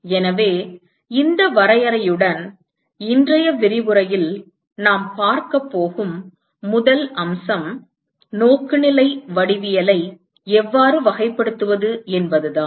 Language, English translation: Tamil, So, with this definition, we the first aspect we are going to look at in today’s lecture is how to characterize orientation geometry